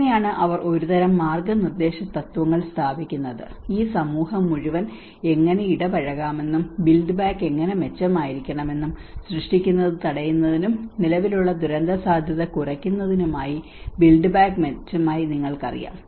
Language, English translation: Malayalam, And that is how they sort of establish some kind of guiding principles you know how this whole the society could be engaged, how the build back better has to be, the build back better for preventing the creation and reducing existing disaster risk